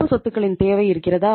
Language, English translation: Tamil, Where is the need of the current assets